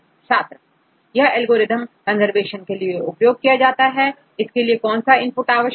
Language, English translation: Hindi, AL2CO; there is algorithm to conservation what is the input required for the AL2CO